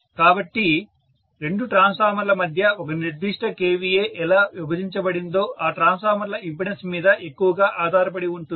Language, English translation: Telugu, So, how exactly a particular kVA is divided between two transformers depend heavily upon what is the impedance of each of these transformers